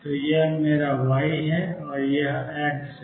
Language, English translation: Hindi, So, this is my y, this is x